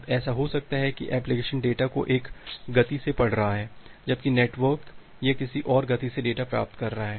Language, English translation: Hindi, Now it may happen that well application is reading the data, data at one speed where as the network, it is receiving the data at another speed